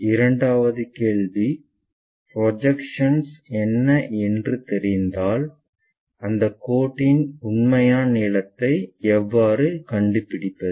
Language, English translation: Tamil, The second question what we will ask is in case if we know the projections, how to construct find the true length of that line